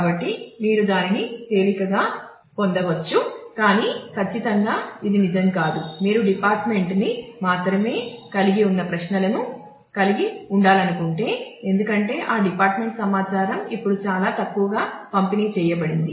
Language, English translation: Telugu, So, you can easily lift that, but certainly this is not true, if you want to involve queries which have department only; because that department information are all now sparsely distributed